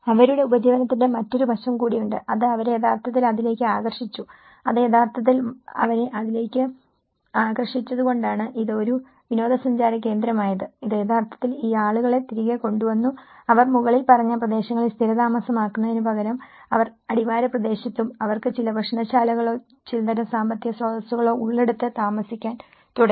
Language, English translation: Malayalam, There is also the other aspect of their livelihood, which they also have which has actually attracted them back to it and that is why because it is being a tourist spot, so it has actually brought these people back and they started instead of settling in the above areas, they started settling in the bottom part in the foothill area and where they have some restaurants or some kind of economic resources